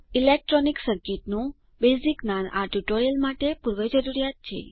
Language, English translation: Gujarati, Basic knowledge of electronic circuit is pre requisite for this tutorial